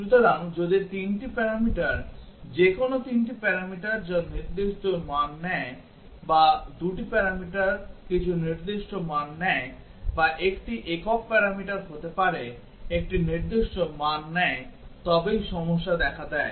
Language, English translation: Bengali, So, if 3 parameters, any 3 parameters that take specific value or any 2 parameters take some specific value or may be a single parameter takes a specific value then only the problem occurs